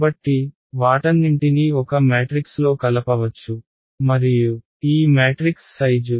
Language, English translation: Telugu, So, all of that can be combined into one matrix and the size of this matrix is